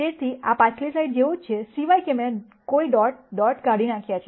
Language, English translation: Gujarati, So, this is the same as the previous slide, except that I have removed the dot dot dot